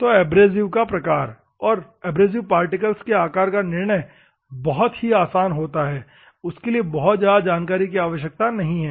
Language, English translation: Hindi, So, the abrasive type, as well as abrasive particle size, is straight forward, there is no much requirement